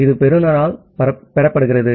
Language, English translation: Tamil, So, it is received by the receiver